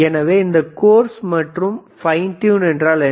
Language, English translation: Tamil, So, what does this course and fine means